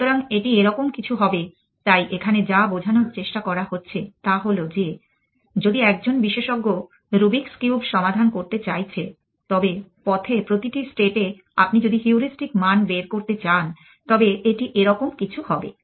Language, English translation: Bengali, So, it will be something like this, so whatever trying to illustrate here is that if a expert the solving is the rubrics cube, then at each state on the way if you want to flirt the heuristic value it would something like this